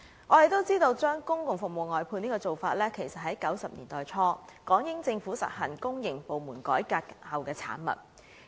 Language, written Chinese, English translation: Cantonese, 眾所周知，將公共服務外判的做法，是1990年代初港英政府實行公營部門改革後的產物。, As we all know the practice of outsourcing public services was a product of reforms carried out to the public sector by the British Hong Kong Government in the early 1990s